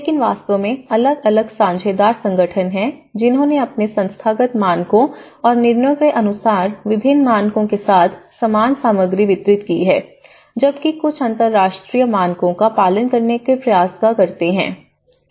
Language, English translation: Hindi, But in reality, there are different partner organizations, which has distributed the goods and materials with different standards, as per their institutional standards and decisions, while some try to follow the international standards